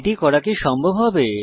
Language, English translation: Bengali, Would it be possible to do this